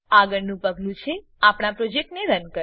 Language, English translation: Gujarati, The next step is to run our project